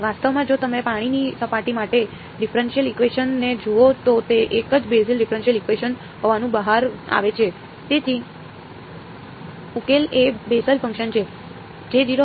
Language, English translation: Gujarati, Actually if you look at the differential equation for the water surface it turns out to be the same Bessel differential equation so the solution is Bessel function